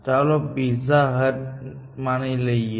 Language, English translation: Gujarati, Let us say, pizza hut